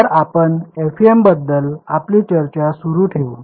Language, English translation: Marathi, So we will continue our discussion of the FEM